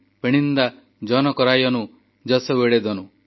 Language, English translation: Odia, Penninda janakaraayanu jasuvalendanu